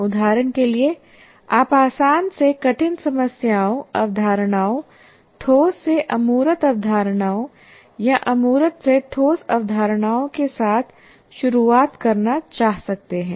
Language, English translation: Hindi, For example, you may want to start with easy to difficult problems or easy to difficult concepts, concrete to abstract concepts or abstract to concrete concept